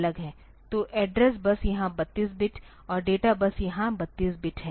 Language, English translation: Hindi, So, address bus is 32 bit here and data bus is 32 bit here